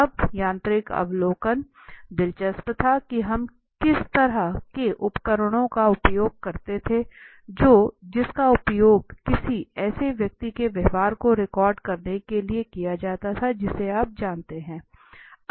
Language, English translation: Hindi, Now mechanical observation was interesting was the devices that we used how which a device which is used to record a person you know behavior